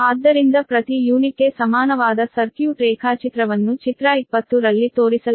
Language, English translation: Kannada, therefore, per unit equivalent circuit diagram is shown in figure twenty